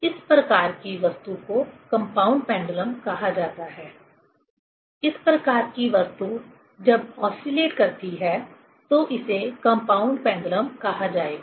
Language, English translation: Hindi, This type of object is called compound pendulum; this type of object when oscillates, this will be called as a compound pendulum